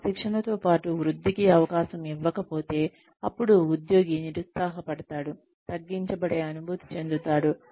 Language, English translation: Telugu, If opportunity for growth is not given, along with that training, then the employee will feel, disheartened, demotivated